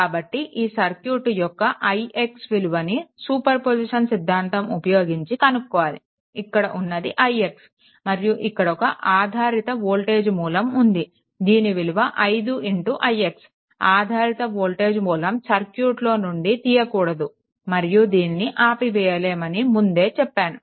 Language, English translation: Telugu, So, in this case you have to find out what is the i x using the superposition theorem; that means, this i x you have to find out and one dependent voltage source is there 5 into i x; and as I told you that dependent voltage source you cannot it should be intact in the circuit, you cannot remove it, you cannot turn it off right